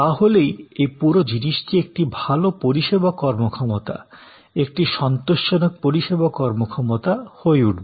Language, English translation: Bengali, Then, this whole thing will become a good service performance, a satisfactory service performance